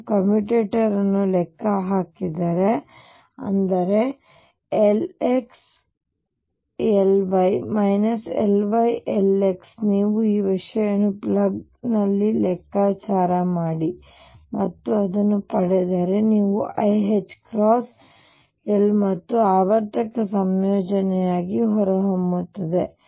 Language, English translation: Kannada, If you calculate the commutator; that means, L x L y minus L y L x if you calculate this just plug in the things and get it this comes out to be i h cross L z and the cyclic combination